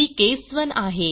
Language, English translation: Marathi, This is case 1